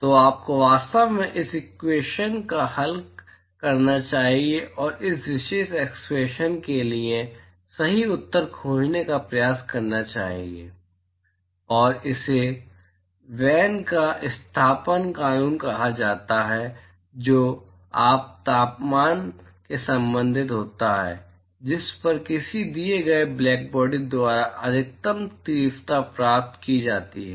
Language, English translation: Hindi, So, you should actually solve this equation and try to find out the correct answer for that particular expression and this is what is called Wein’s displacement law which relates the temperature at which the maximum intensity is achieved by a given blackbody